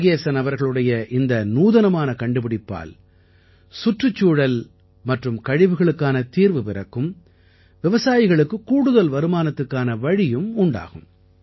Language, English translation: Tamil, This innovation of Murugesan ji will solve the issues of environment and filth too, and will also pave the way for additional income for the farmers